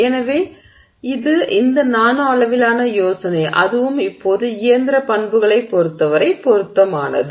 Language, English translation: Tamil, So, that's the idea of this nanoscale and that is also something that is now relevant with respect to the mechanical properties